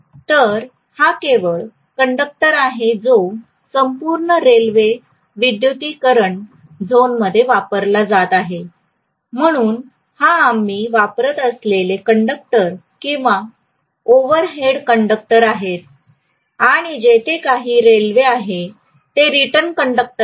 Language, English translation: Marathi, So this is only conductor that is being used throughout the railway electrification zone, so this is the conductor or overhead conductor that we use and whatever is the rail here that is supposed to be our return conductor